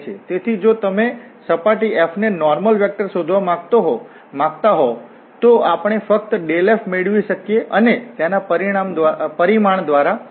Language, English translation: Gujarati, So if you want to find the normal vector to a surface f, then we can just get this dell f and divide by its magnitude